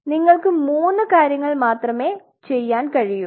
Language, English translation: Malayalam, There only three things you can do